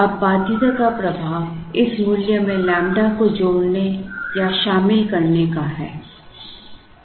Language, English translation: Hindi, Now, the effect of the constraint is the addition or inclusion of lambda into this value